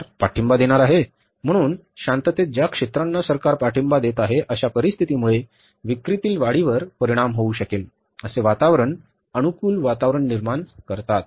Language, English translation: Marathi, So, in peace, the sectors which the government is going to support, going to create a very conducive environment, that may affect the increase in the sales